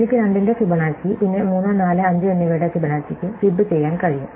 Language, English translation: Malayalam, Fibonacci of 5 is not going to require Fibonacci of 6, 7, 8